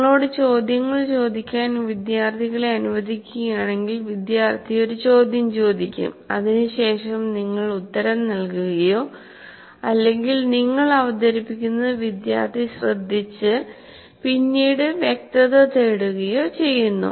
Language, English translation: Malayalam, These conversations would mean if you allow students to ask you questions, student will ask a question, then you answer, or other times you are presenting and the student is listening or possibly seeking clarifications